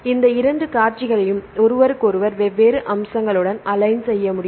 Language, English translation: Tamil, So, you can make these two sequences aligned with each other with different aspects